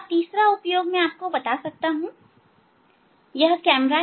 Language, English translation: Hindi, third application I can tell you that this is the camera, camera